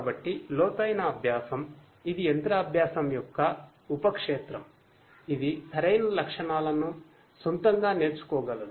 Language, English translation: Telugu, So, deep learning, it is a subfield of machine learning which is capable of learning the right features on its own know